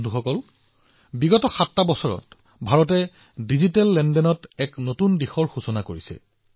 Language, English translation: Assamese, Friends, in these 7 years, India has worked to show the world a new direction in digital transactions